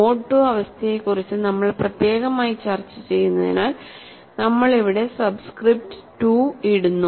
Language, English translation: Malayalam, Since we are discussing mode 2, I have put a subscript 2